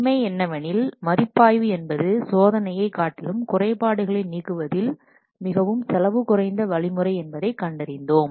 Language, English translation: Tamil, And in fact, review has been acknowledged to be more cost effective in removing the defects as compared to testing